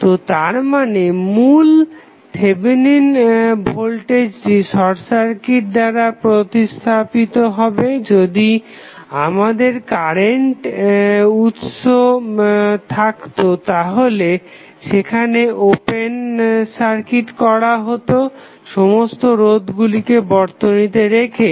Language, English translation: Bengali, So, that means, that the original Thevenin voltage we are replacing with the short circuit, if we have a current source then it will be open circuited while keeping all resistance value in the circuit